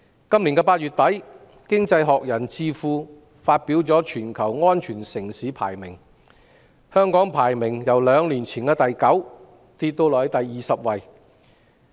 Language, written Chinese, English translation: Cantonese, 今年8月底，經濟學人智庫發表全球安全城市排名，香港的排名由兩年前的第九位下跌至第二十位。, In late August this year the Economist Intelligence Unit published the Safe Cities Index . Hong Kongs ranking fell from 9 two years ago to 20